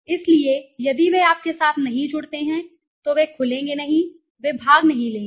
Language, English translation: Hindi, So, if they do not connect with you they will not open up, they will not participate okay